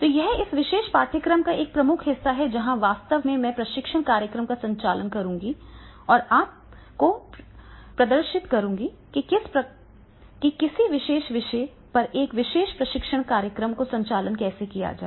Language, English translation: Hindi, So, that is a major part of this particular course where actually I will conduct the training programs and demonstrate you that is the how a particular training program on a particular topic that has to be conducted